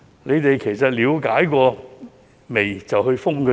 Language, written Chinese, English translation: Cantonese, 當局有否了解過才決定封閉呢？, Have the authorities informed themselves before deciding to impose a closure order?